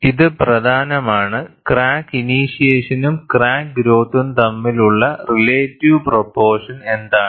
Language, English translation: Malayalam, And it is also important, what is the relative proportion of crack initiation versus crack growth